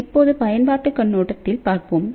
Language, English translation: Tamil, So, now, let us just look at the application point of view